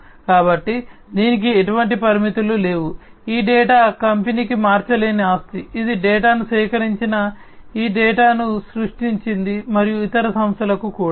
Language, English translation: Telugu, So, it does not have any limits, this data is an invariable asset for the company, that has created this data that has collected the data, and also for the other companies as well